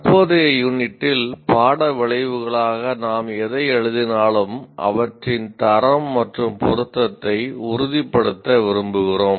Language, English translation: Tamil, Now, in the current unit, whatever we write as course outcomes, we want to ensure their quality and relevance